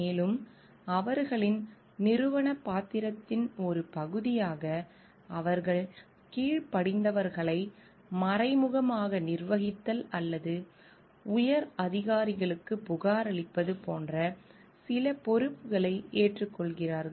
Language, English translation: Tamil, And as a part of their organizational role they are taking up certain responsibilities in which they are indirect managing subordinates or like reporting to higher authorities